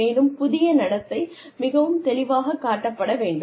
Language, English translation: Tamil, And, the new behavior should be very clearly displayed